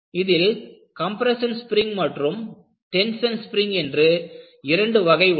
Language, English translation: Tamil, And if you really look at, you have a compression spring or a tension spring